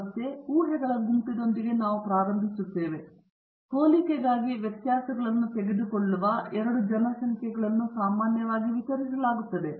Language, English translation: Kannada, So, again, we start off with the set of assumptions: the two populations from which the variances were taken for comparison are both normally distributed